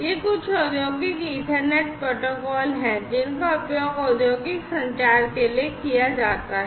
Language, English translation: Hindi, These are some of the Industrial Ethernet protocols that are used in practice in for industrial communication